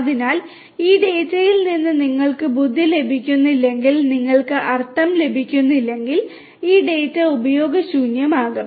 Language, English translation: Malayalam, So, this data will be useless if you do not get meaning out of if you do not derive intelligence out of this data